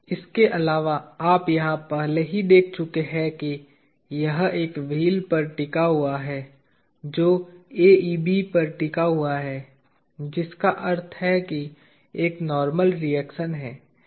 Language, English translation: Hindi, Apart from that you already notice here that it is resting on a wheel is resting on AEB which means there is a normal reaction